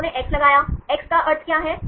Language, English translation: Hindi, They put x, what is the meaning of x